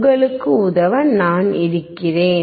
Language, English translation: Tamil, I am there to help you out